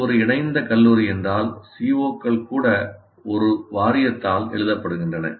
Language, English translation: Tamil, If it is an affiliated college, even the COs are written by the Boats of Studies